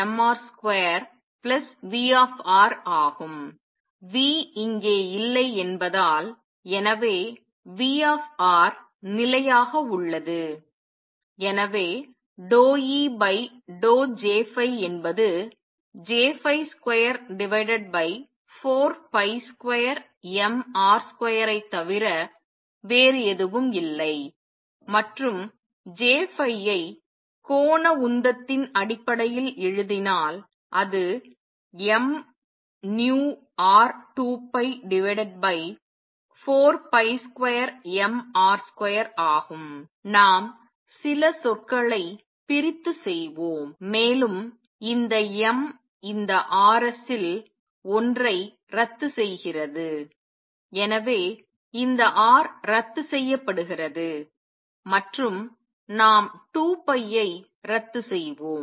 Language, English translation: Tamil, Since there is no V, so V R remains fixed and therefore, d E over d J phi is nothing but J phi over 4 pi square m R square and lets write J phi in terms of the angular momentum which is m v R times 2 pi divided by 4 pi square m R square, and lets cancel a few terms this m cancels this cancel one of the Rs, so this R cancels and let us cancel 2 pi